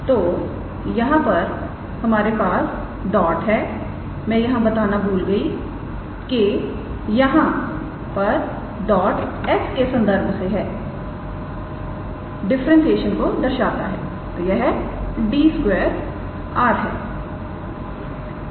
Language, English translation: Hindi, So, here when we have dot I just forgot to mention, that here dots denote differentiation with respect to s right; so this one is d square ok